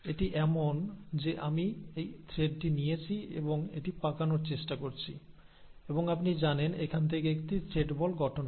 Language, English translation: Bengali, It is like I take this thread and then try to wind it and you know form it into a ball of thread